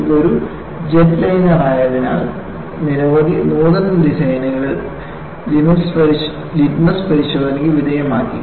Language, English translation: Malayalam, Because it is a jet liner, several novel designs were put to litmus test